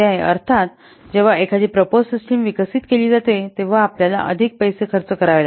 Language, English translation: Marathi, So when a proposed system is developed, you have to spend more money